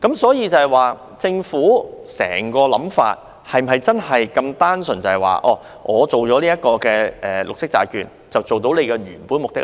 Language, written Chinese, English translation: Cantonese, 所以，政府整個想法是否真的如此單純地透過推行綠色債券來達到原有目的呢？, So is the entire intention of the Government really as simple as to achieve the original purpose of the green bond issuance?